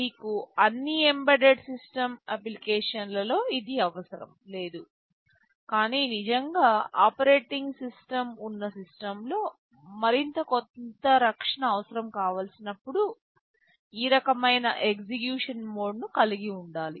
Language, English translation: Telugu, In all embedded system application you will not require this, but in system where there is really an operating system and you need some protection you need to have this mode of execution